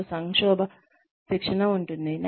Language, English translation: Telugu, We can have crisis training